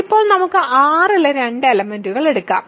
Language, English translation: Malayalam, Now, let us take two elements in R ok